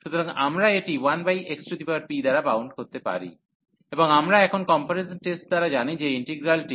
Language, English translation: Bengali, So, we can bound this by 1 over x power p, and we know now by the comparison test that the integral 1 to infinity 1 over x power p